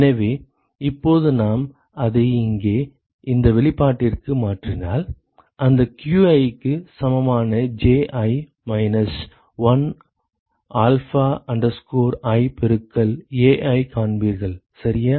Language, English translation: Tamil, So, now if we substitute that into this expression here, you will find that qi equal to Ji minus 1 minus alpha i multiplied by Ai ok